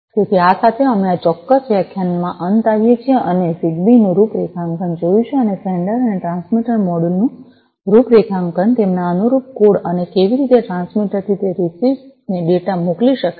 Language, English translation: Gujarati, So, with this, we come to an end of this particular lecture we have seen the configuration of ZigBee, and the sender and the transmitter module configuration, their corresponding code, and how the data can be sent from the transmitter to that receiver